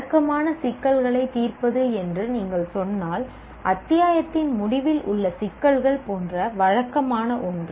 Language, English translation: Tamil, If you say routine problem solving, something like routine, like end of the chapter problems, it is merely apply